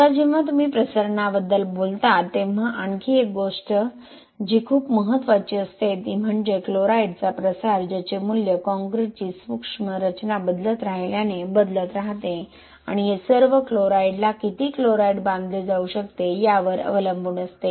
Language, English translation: Marathi, Now one other thing which is very important when you talk about diffusion is this chloride diffusion that value keeps changing as the concrete microstructure keep changing and also it is all depended on the how much chlorides can be bound to the chloride bound to the concrete or the cementitious system